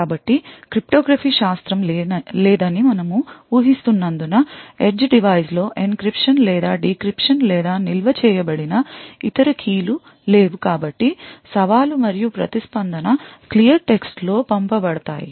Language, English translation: Telugu, So note that since we are assuming that there is no cryptography present, there is no encryption or decryption or any other stored keys present in the edge device therefore, the challenge and the response would be sent in clear text